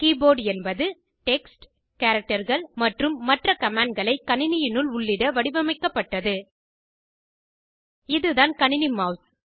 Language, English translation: Tamil, The keyboard is designed to enter text, characters and other commands into a computer